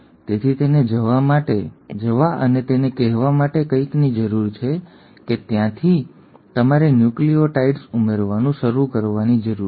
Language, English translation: Gujarati, So it needs something to go and tell it that from there you need to start adding the nucleotides